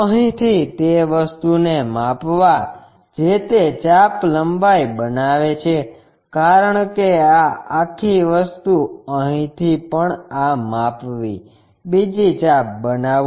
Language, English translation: Gujarati, From here measure the thing whatever that length make an arc, because this entire thing; from here also measure this one make another arc